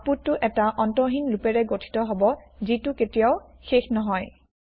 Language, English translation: Assamese, The output will consist of an infinite loop that never ends